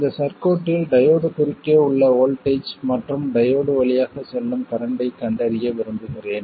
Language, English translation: Tamil, And I want to find the voltage across the diode and the current through the diode in this circuit